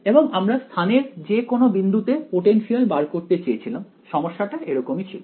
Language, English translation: Bengali, And we wanted to find out the potential at any point in space over here, that was what the problem was alright